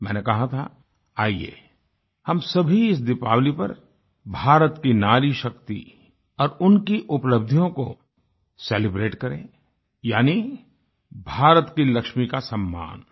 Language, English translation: Hindi, I had urged all of you to celebrate India's NariShakti, the power and achievement of women, thereby felicitating the Lakshmi of India